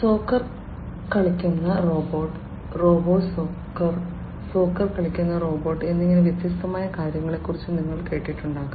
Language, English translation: Malayalam, You must have heard about different things like a robot playing soccer, robo soccer, robot playing soccer